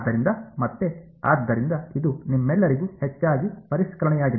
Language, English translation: Kannada, So, again, so this is mostly revision for you all